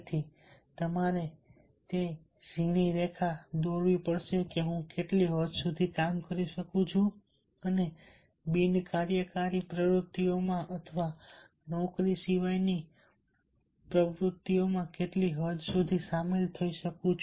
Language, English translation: Gujarati, so therefore you have to draw that fine line: to what extent i can work and what extent i can involve in not non working activities or non job activities, and therefore dont get overload